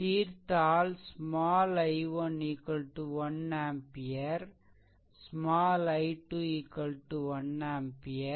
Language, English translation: Tamil, If you solve, you will get small i 1 is equal to one ampere and small i 2 is equal to also 1 ampere